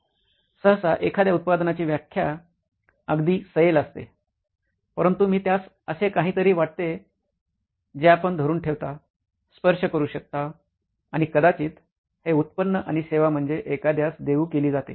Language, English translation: Marathi, Usually the definition of a product is quite loose, but I think of it as something that you can hold, touch and feel is probably a product and a services is something that is offered to somebody